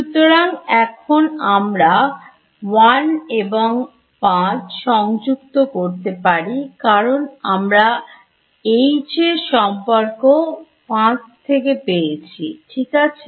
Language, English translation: Bengali, So, now I can combine 1 and 5 because from 5 I get a relation for H correct